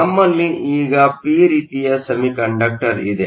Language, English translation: Kannada, We now have a p type semiconductor